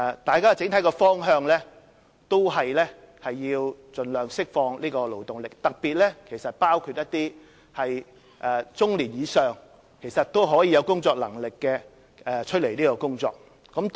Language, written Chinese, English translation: Cantonese, 大家認同的整體方向都是要盡量釋放勞動力，包括中年以上仍有工作能力的人士投身工作。, The agreed overall direction is to release as much labour force as possible including people above middle age who still possess working ability to join the workforce